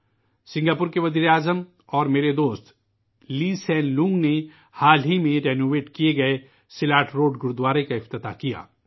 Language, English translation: Urdu, The Prime Minister of Singapore and my friend, Lee Hsien Loong inaugurated the recently renovated Silat Road Gurudwara